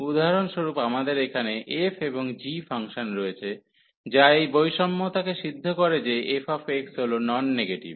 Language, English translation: Bengali, So, for example here we have the function f and g which satisfy this inequality that f x is a non negative